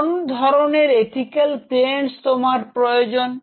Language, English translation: Bengali, So, what sort of ethical clearances you will be needing